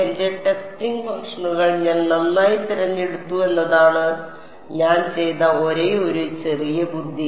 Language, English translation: Malayalam, The only little bit of cleverness I did is I chose my testing functions nicely